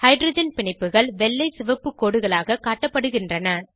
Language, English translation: Tamil, The hydrogen bonds are displayed as white and red long dashes